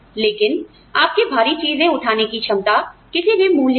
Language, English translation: Hindi, But, your ability to lift heavy things, is of no value